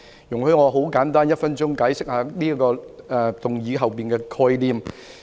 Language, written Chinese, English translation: Cantonese, "容許我用1分鐘簡單地解釋這項議案背後的概念。, Allow me to briefly explain the rationale behind this motion in one minute